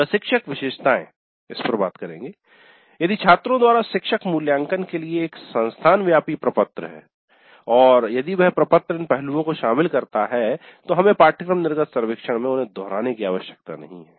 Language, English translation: Hindi, Then instructor characteristics as I mentioned if there is an institute wide form for faculty evaluation by students and if that form covers these aspects then we don't have to repeat them in the course exit survey